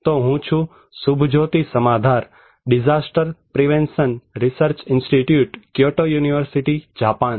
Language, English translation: Gujarati, So, I am Subhajoti Samaddar, from DPRI; Disaster Prevention Research Institute, Kyoto University, Japan